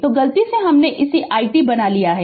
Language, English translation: Hindi, So, by mistake I have made it I t